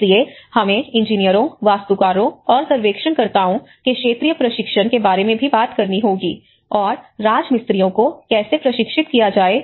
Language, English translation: Hindi, So, we also need to talk about the sectoral understanding, the sectoral training of engineers, architects, and surveyors also the masons you know how to train them